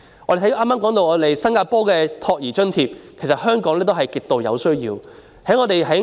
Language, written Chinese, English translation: Cantonese, 我剛才提到新加坡的託兒津貼，其實香港也需要提供這種津貼。, I mentioned the childcare allowances in Singapore just now . In fact it is necessary for such allowances to be provided in Hong Kong